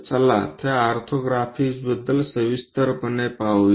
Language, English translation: Marathi, Let us look look at those orthographics in detail